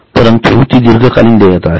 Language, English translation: Marathi, So, long term liabilities